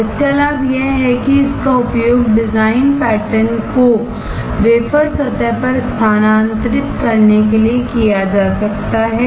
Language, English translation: Hindi, The advantage of this is that it can be used to transfer the design pattern to the wafer surface